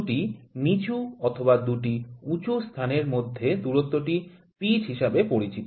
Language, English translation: Bengali, The distance between the 2 roots or 2 crests is known as pitch